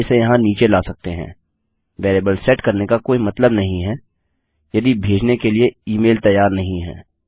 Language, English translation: Hindi, Perhaps we could bring these down here there is no point setting a variable if the email is not ready to send